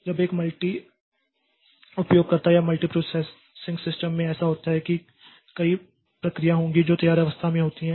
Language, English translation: Hindi, Now, in a multi user or multi processing system what happens is that there will be many jobs which are there in the ready state